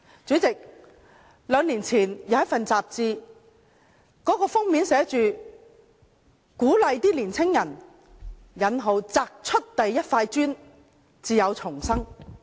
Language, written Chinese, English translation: Cantonese, 主席，兩年前一本雜誌封面鼓勵年青人擲出第一塊磚才有重生。, President two years ago the cover of a magazine encouraged young people to hurl the first brick for rebirth